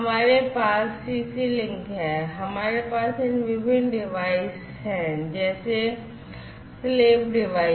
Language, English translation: Hindi, So, we have in CC link, we have we have these different devices, let us say the slave devices